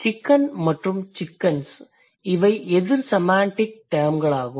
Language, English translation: Tamil, So, let's say chicken and chickens, these are opposite semantic terms